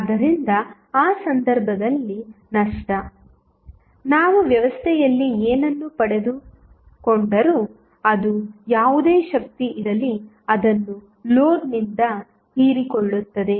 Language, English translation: Kannada, So, in that case loss, whatever we get in the system would be equal to whatever power is being absorbed by the load